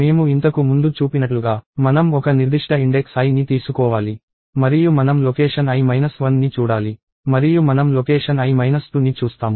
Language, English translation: Telugu, And as I showed earlier, we have to take a particular index i and we look at location i minus 1 and we look at location i minus 2